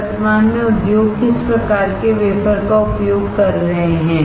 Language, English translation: Hindi, What is the current wafer size the industry is using